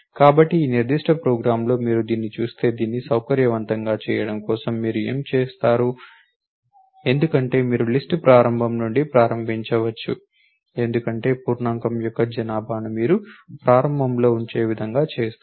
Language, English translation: Telugu, So, what is done in this particular program if you look at it is to make this convenient, because you can start from the beginning of the list the population of the integer is done such that you prepend them put in the beginning